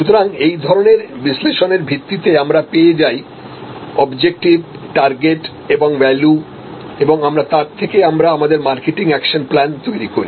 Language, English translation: Bengali, So, based on this set of analysis we derive this objectives and targets and value proposition and then, with that we create our marketing action plan